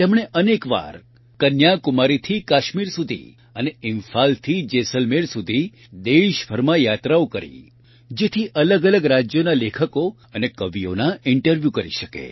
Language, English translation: Gujarati, She travelled across the country several times, from Kanyakumari to Kashmir and from Imphal to Jaisalmer, so that she could interview writers and poets from different states